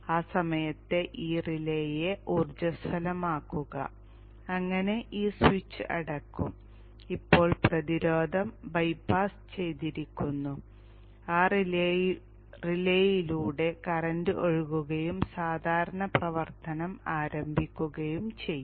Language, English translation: Malayalam, At that time energize this relay so the switch will be closed and now the resistance is bypassed, current will go through that relay and normal operation begins